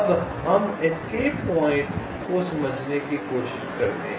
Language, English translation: Hindi, now let us try to understand the escape points